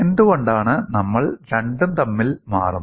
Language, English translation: Malayalam, Why we switch between the two